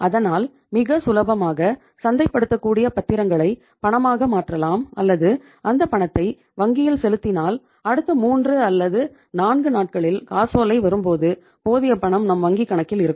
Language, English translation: Tamil, So you can easily convert those marketable securities into cash or and that cash can be deposited in the bank account so that in the next 3, 4 days when the cheque will come back uh in in the account for collection we have maintained that much amount of the cash in the account